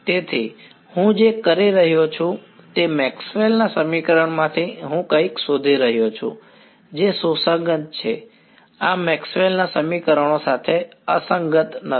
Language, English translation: Gujarati, So, what I am doing is from Maxwell’s equation I am finding out something which is consistent right this is not inconsistent with Maxwell’s equations